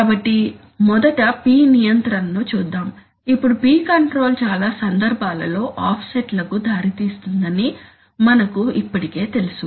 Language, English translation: Telugu, So let us first look at the P control, now we already know that p control leads to offsets in most cases